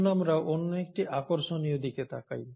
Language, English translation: Bengali, So let us look at this other interesting aspect